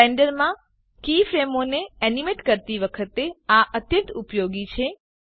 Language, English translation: Gujarati, This is very useful while animating keyframes in Blender